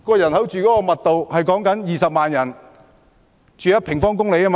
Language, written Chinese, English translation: Cantonese, 人口密度是20萬人住1平方公里。, The population density is 200 000 persons per square foot